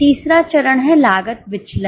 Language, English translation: Hindi, The third step is cost variance